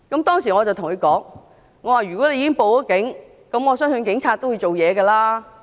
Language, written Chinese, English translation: Cantonese, 當時我對他說，如果他已經報警，我相信警察會處理。, At that time I told him if he had called the Police I believed the Police would deal with the situation